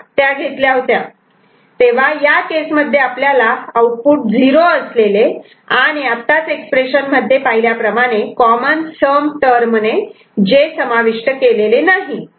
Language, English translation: Marathi, So, in this case it is the output having 0, which goes into the making of you know, previous expression, they are not covered by common sum term